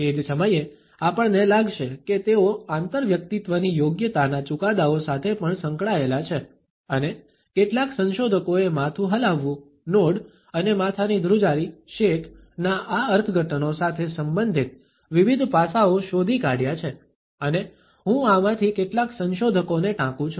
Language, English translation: Gujarati, At the same time, we would find that they are also associated with judgments of interpersonal competence and several researchers have found out different aspects related with these interpretations of head nods and shaking of the head and I quote some of these researchers